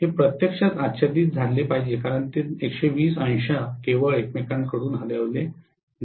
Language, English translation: Marathi, It should actually overlap because it is 120 degrees only shifted from each other